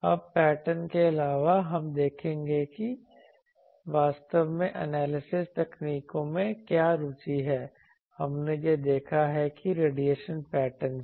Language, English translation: Hindi, Now, apart from pattern; so from pattern we will see what are the interest actually in analysis techniques also, we have seen that from a radiation pattern